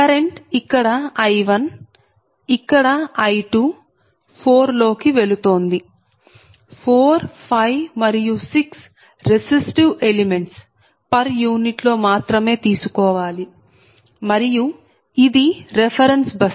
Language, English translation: Telugu, so a current is here showing i one, here it is i two and this four this is something some resistive is going four, five and six right you can take per unit only right and this is reference bus